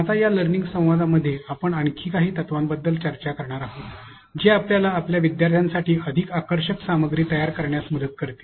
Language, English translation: Marathi, Now, in this learning dialogue we are going to discuss about some more principles that will help you even create more engaging content for your students as well